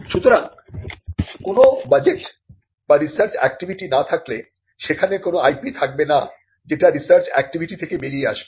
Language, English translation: Bengali, So, unless there is a budget or unless there is research activity there will not be any IP that comes out of research activity